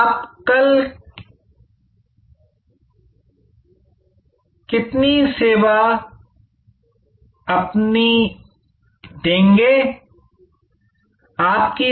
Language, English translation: Hindi, Whom will you serve tomorrow